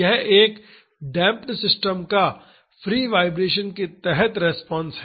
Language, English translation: Hindi, This is the response of a damped system under free vibrations